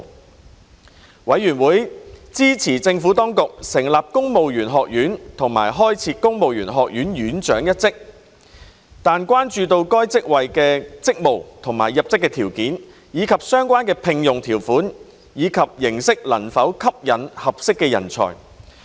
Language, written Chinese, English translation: Cantonese, 事務委員會支持政府當局成立公務員學院和開設公務員學院院長一職，但關注到該職位的職務、入職條件，以及相關聘用條款及形式能否吸引合適人才。, While the Panel supported the Administrations proposals to establish the Civil Service College and create the post of Head of the Civil Service College there was concern over the duties and entry requirements of the post and whether the terms and form of employment could attract suitable talents